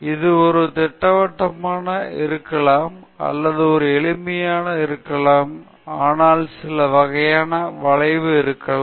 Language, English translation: Tamil, It may not be a planar or it may not be a simple, but there may be some kind of curvature